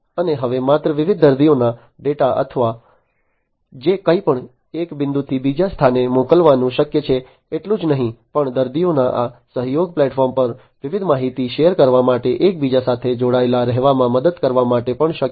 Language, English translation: Gujarati, And it is now possible not only to send the data of different patients or whatever from one point to another, but also to help the patients to stay interconnected with one another to share the different information over this collaborative platform and so on